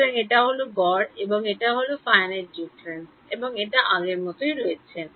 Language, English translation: Bengali, So, this is average and this is finite difference and this is as before